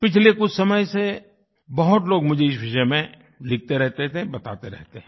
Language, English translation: Hindi, Over some time lately, many have written on this subject; many of them have been telling me about it